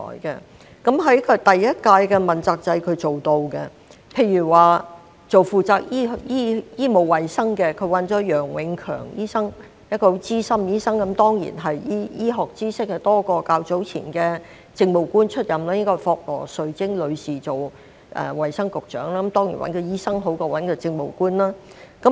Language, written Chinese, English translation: Cantonese, 在第一屆問責制，他是做到的，例如負責醫務衞生方面，他找來楊永強醫生，他是一名資深的醫生，醫學知識當然較前任政務官為多——當年應該是由霍羅兆貞女士出任衞生福利局局長——當然，由醫生擔任較由政務官擔任好。, For instance he recruited Dr YEOH Eng - kiong to be in charge of the medical and health portfolio . Dr YEOH was a veteran doctor and his medical knowledge was surely better than his predecessor who was an Administrative Officer―I recall that back then Mrs Katherine FOK was the Secretary for Health and Welfare―of course this position is better taken up by a doctor than an Administrative Officer